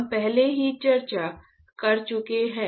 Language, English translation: Hindi, Already we have discussed